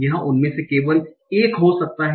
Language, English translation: Hindi, It can be only one of those